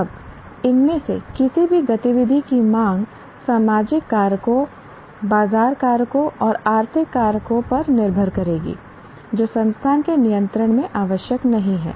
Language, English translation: Hindi, Now, this seeking of any of these activity will depend on social factors, market factors, and economic factors, which are not necessarily in the control of the institute